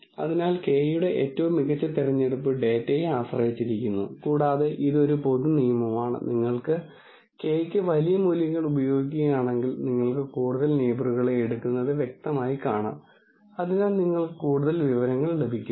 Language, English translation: Malayalam, So, the best choice of k depends on the data and one general rule of thumb is, if you use large values for k, then clearly you can see you are taking lot more neighbors, so you are getting lot more information